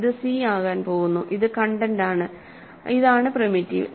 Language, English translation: Malayalam, So, this is going to be c which is the content and this is the primitive, right